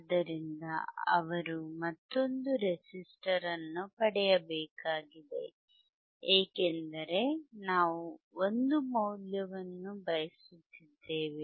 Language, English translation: Kannada, So, he has to again get a another resistor another resistor because we want value which is 1